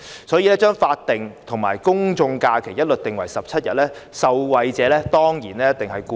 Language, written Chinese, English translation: Cantonese, 所以，把法定假日和公眾假期劃一訂為17天，受惠者當然是僱員。, Hence aligning the numbers of statutory holidays and general holidays at 17 days will certainly benefit employees